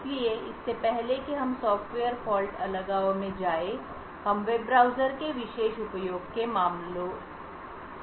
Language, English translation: Hindi, So, before we go into what Software Fault Isolation is we will look at particular use case of a web browser